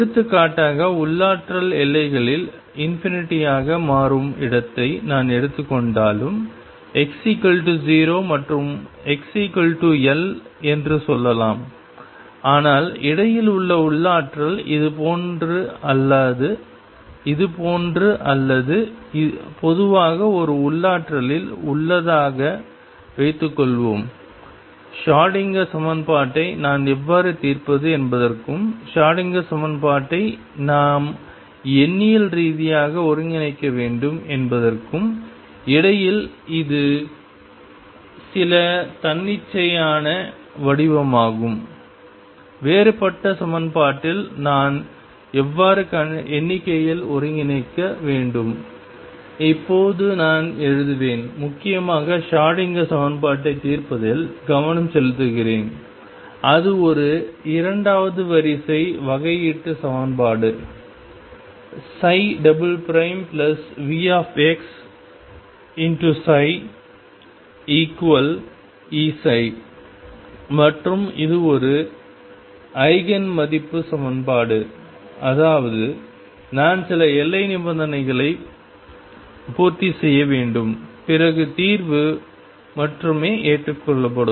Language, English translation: Tamil, For example, even if I take a potential where the potential becomes infinity at the boundaries let us say x equal 0 and x equals l, but change the potential in between suppose this like this or in the potential which is like this or in general a potential which is some arbitrary shape in between how do I solve the Schrodinger equation and for that we have to numerically integrate the Schrodinger equation, how do I numerically integrate at differential equation, I will write now focus principally on solving the Schrodinger equation which is a second order differential equation psi double prime plus V x psi equals e psi and this is an Eigen value equation; that means, I have to satisfy certain boundary conditions then only the solution is acceptable